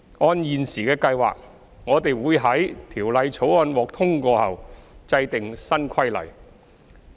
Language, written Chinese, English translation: Cantonese, 按現時的計劃，我們會在《條例草案》獲通過後制定新規例。, According to the current plan we will make new regulations upon passage of the Bill